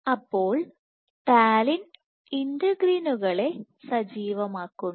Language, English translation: Malayalam, So, Talin is known to activate integrins